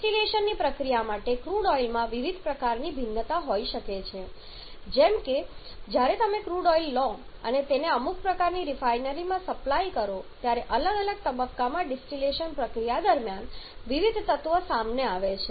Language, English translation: Gujarati, Crude oil can have different kind of variations for the process of distillation like when you take the crude oil and supply it to some kind of refineries then during the distillation process in different stages different elements comes up